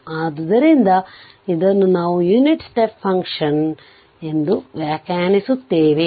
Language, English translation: Kannada, So, this we will define the unit function your what you call the unit step function